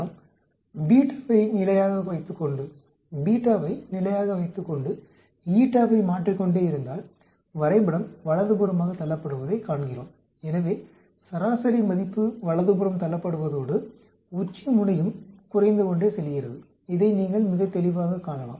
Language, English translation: Tamil, If you look at keeping beta constant if we keep changing eta, we see the graph gets pushed to the right, so the mean value gets pushed to the right and the peak also keeps going down, you can see this very clearly